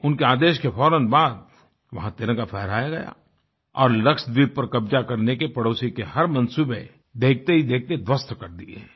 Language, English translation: Hindi, Following his orders, the Tricolour was promptly unfurled there and the nefarious dreams of the neighbour of annexing Lakshadweep were decimated within no time